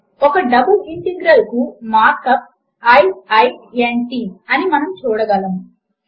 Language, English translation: Telugu, As we can see, the mark up for a double integral is i i n t